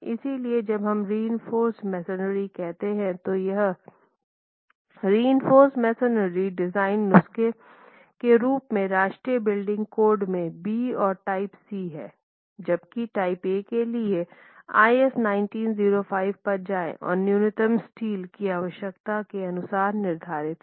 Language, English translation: Hindi, So, when we say reinforced masonry, it's the reinforced masonry design prescriptions as in the National Building Code for type B and type C, whereas for type A go back to IS 1905